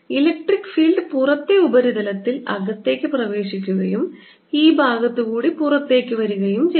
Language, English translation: Malayalam, the electric field is going in on the outer surface right and coming out on this side